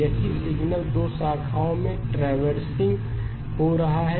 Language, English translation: Hindi, The same signal is traversing on the 2 branches